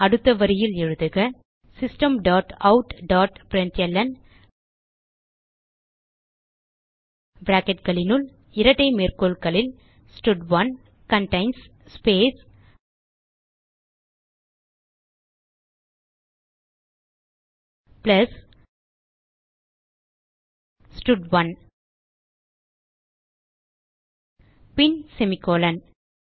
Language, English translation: Tamil, So next line type System dot out dot println within brackets and double quotes stud1 contains space plus stud1 and then semicolon